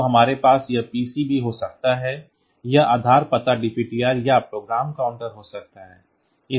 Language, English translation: Hindi, So, where it is; so, we can also have this PC; this base address can be DPTR or the program counter